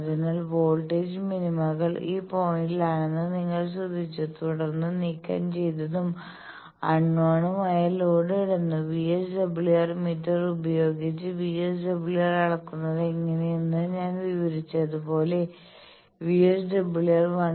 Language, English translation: Malayalam, So, you have noted that voltage minima's are at this points, then short removed and unknown load put then, as I described how to measure VSWR by VSWM meter you have measured the VSWR to be 1